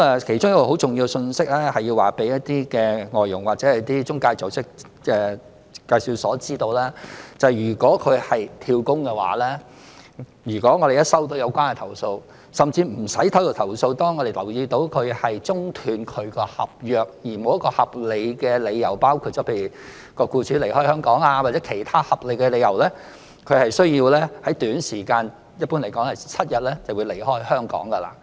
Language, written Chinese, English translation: Cantonese, 其中一個很重要的信息，是要讓外傭或中介組織、介紹所知道，如果有外傭"跳工"的話，只要我們接獲有關投訴，甚或無須接獲投訴，只要我們留意到有外傭中斷其合約，而沒有一個合理的理由，例如僱主離開香港，或其他合理的理由，他/她便需要在短時間內離開香港。, One of the key messages which FDHs and EAs have to know is that any FDH who job - hops will be required to leave Hong Kong within a short time once we receive relevant complaints or we without receiving any complaint notice an absence of any valid reason for hisher premature termination of contract say hisher employers moving away from Hong Kong or any other reasonable cause